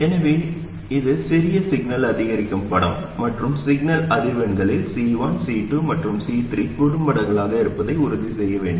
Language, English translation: Tamil, So, this is the small signal incremental picture and we have to make sure that C1, C2 and C3 are shorts at the signal frequencies